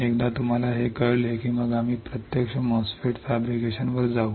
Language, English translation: Marathi, Once you know this then we will move on to the actual MOSFET fabrication ok